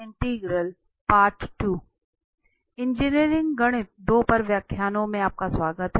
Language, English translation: Hindi, Welcome back to lectures on Engineering Mathematics 2